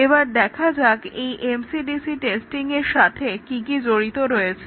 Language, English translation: Bengali, Let us look at what is involved in MCDC testing